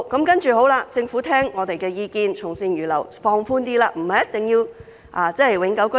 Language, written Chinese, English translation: Cantonese, 其後，政府聽取我們的意見，從善如流，稍為放寬要求，申請人不一定要是永久性居民。, After all these questions the Government has listened to us and agreed to slightly relax the HKPR requirement so that the applicants will not necessarily have to be HKPRs